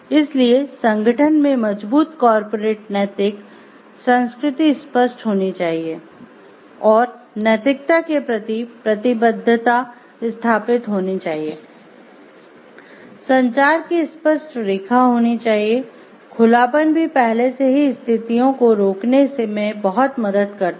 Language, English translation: Hindi, So, there must be strong corporate ethics culture, clear commitment to ethics must be established in the organization, there should be a clear lines of communication, openness can help a lot in curbing the situations well in advance